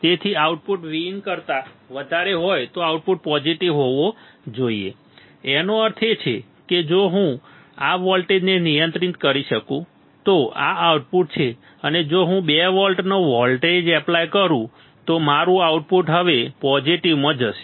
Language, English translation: Gujarati, So, output will should to positive right if output is greater than the V in; that means, if I this voltage I can control right this output is there and if I apply voltage that is 2 volts, then my output will go to positive now